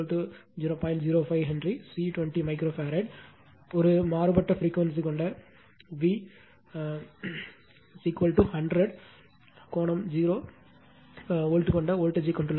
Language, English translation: Tamil, 05 Henry, C is 20 micro farad has an applied voltage V is equal to 100 angle 0 volt with a variable frequency